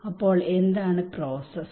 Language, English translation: Malayalam, So what is the process